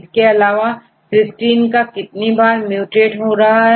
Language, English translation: Hindi, And how many times right; Cysteine is mutated to